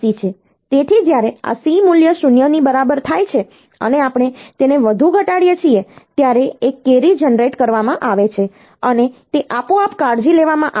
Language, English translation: Gujarati, So, when this C value becomes equal to 0, and we decrement it further, then a carry is being generated and it is automatically taken care of